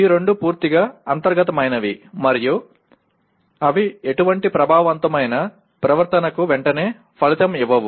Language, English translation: Telugu, These two are completely internal and they do not immediately kind of result in any affective behavior